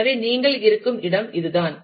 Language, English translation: Tamil, So, this is where you are